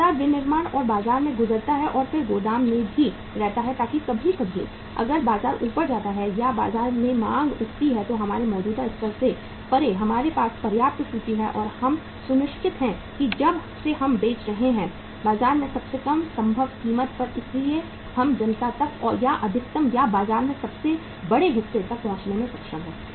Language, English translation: Hindi, Continuously manufacturing and passing on to market and then keeping in the warehouse also so that sometime if the market goes up or the demand in the market picks up beyond even our existing level we have sufficient inventory for that and we are sure that since we are selling at the lowest possible price in the market so we are able to reach up to the masses or to the maximum or to the largest segment of the market